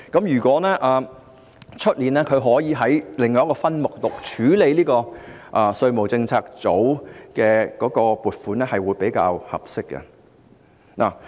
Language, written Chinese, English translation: Cantonese, 如果明年可以在另一總目獨立處理稅務政策組的撥款，我認為是比較合適的。, I think it is more appropriate for the funding for the Tax Policy Unit to be dealt with independently under a separate head next year